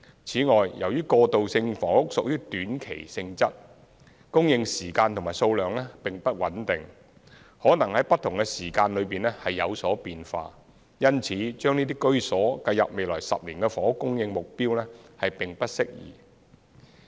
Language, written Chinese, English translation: Cantonese, 此外，由於過渡性房屋屬於短期性質，供應時間及數量並不穩定，可能在不同時間內有所變化，因此把這些居所計入在未來10年的房屋供應目標並不適宜。, Besides since transitional housing is temporary in nature the time and quantity of supply are not stable and may vary in different periods of time . It is thus inappropriate to include this kind of housing into the housing supply target for the coming decade